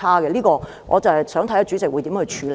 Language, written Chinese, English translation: Cantonese, 就這方面，我想看看主席會如何處理。, I wish to see what President will do about this aspect